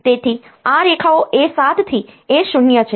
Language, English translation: Gujarati, So, these lines the A 7 to A 0